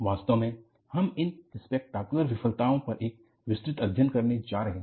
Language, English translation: Hindi, In fact, we are going to have a detailed study on these spectacular failures